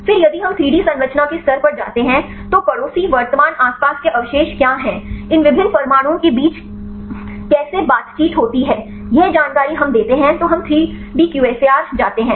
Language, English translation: Hindi, Then if we go to 3D structure level so what are the neighboring current surrounding residues and how there are interactions made between these different atoms we give that information then we go the 3D QSAR